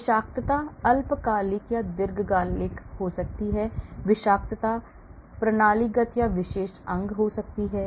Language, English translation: Hindi, the toxicity could be short term, long term, toxicity could be systemic, toxicity could be particular organ